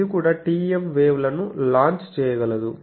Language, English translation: Telugu, So, then there is a TEM wave launcher